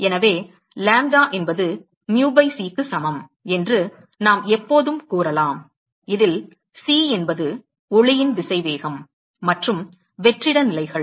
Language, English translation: Tamil, So, we can always say that lambda is equal to c by mu where c is the speed of light and the vacuum conditions